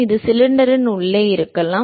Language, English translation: Tamil, It could be inside the cylinder etcetera